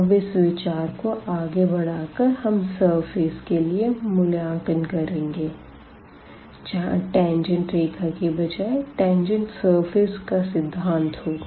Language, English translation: Hindi, The extension of this we will have for the computation of the surface where instead of the tangent line we will have the concept of the tangent plane